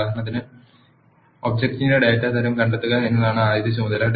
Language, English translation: Malayalam, For example, the first task is to find the data type of the object